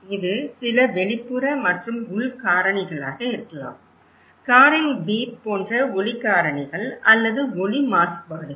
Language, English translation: Tamil, It could be some external and internal factors, external factors like the beep of car or sound pollutions